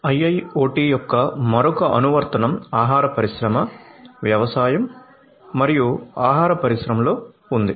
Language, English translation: Telugu, Another application of IIoT is in the food industry, agriculture and food industry